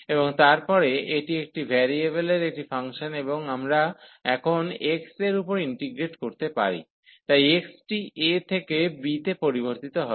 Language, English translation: Bengali, And then this is a function of one variable and we can now integrate over the x, so the x will vary from a to b